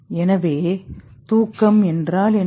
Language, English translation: Tamil, What is sleep